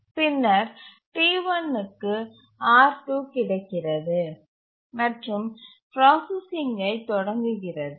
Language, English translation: Tamil, And then T2 gets the control, T2 starts executing